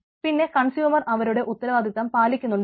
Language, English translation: Malayalam, does the consumer meets the responsibility